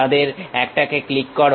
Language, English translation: Bengali, Click one of them